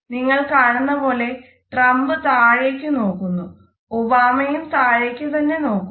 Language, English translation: Malayalam, So, you will notice that Trump is looking down and Obama is looking down